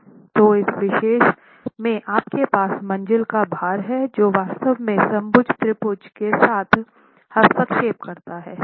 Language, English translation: Hindi, So, in this particular case you have the floor load actually interfering with the equilateral triangle